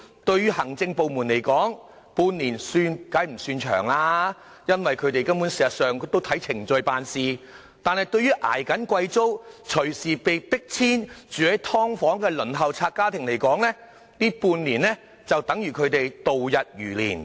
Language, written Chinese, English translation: Cantonese, 對行政部門來說，半年算不上是長，因為他們按程序辦事，但對於在負擔高昂租金，隨時被迫遷及居於"劏房"的輪候冊家庭來說，這半年簡直度日如年。, I reckon it will take more than half a year . Half a year is not long for the administration which simply works in accordance with procedures but it does feel awfully long for families on the Waiting List who are paying exorbitant rents can be forced to move out at any time or those who live in subdivided units